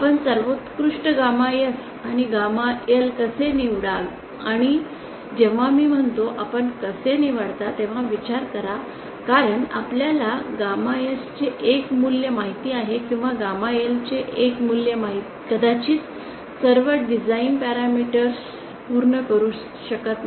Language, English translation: Marathi, How do you select optimum gamma S and gamma L and the and mind you when I say how do you select since you know one value of gamma S or one value of gamma L may not be able to satisfy all the design parameters it may be that if I have a single goal say stability